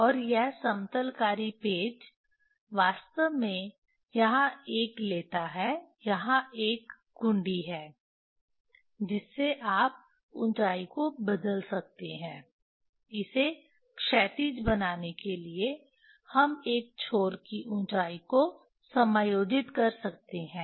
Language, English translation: Hindi, And this leveling screw takes a actually here this a, here there is a knob you can you can change the height to make it horizontal we can adjust the height of one end